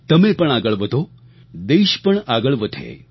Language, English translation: Gujarati, You should move forward and thus should the country move ahead